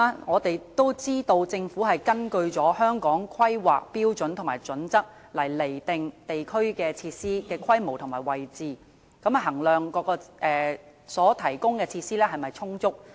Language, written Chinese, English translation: Cantonese, 我們也知道政府根據《規劃標準》釐定地區設施的規模和位置，從而衡量所提供的設施是否充足。, We also know that the Government determines the scale and location of district facilities in accordance with HKPSG and thereby measures the adequacy of the facilities provided